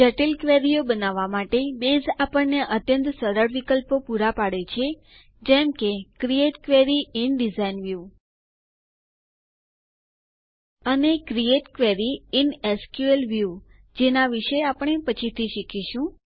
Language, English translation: Gujarati, For creating complex queries, Base provides us with very handy options such as Create Query in Design View and Create Query in SQL view, which we will learn about later